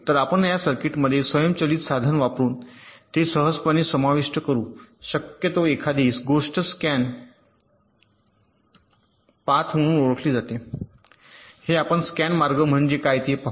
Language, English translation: Marathi, so we can modify this circuit using an automated tool very easily to insert something called as scan path